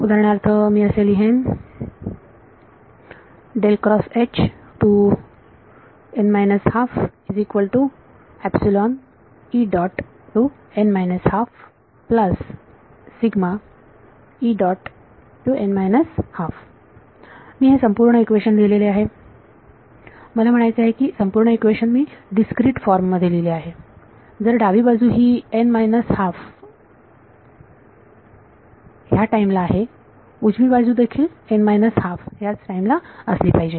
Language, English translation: Marathi, I have just written down the whole I mean whole equation in discrete form if the left hand side is at time n minus half right hand side should also be at time n minus half